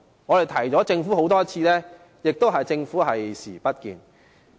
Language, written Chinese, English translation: Cantonese, 我們已多次提醒政府，政府卻視而不見。, We have tendered the Government repeated reminders but the Government just turns a blind eye to the problem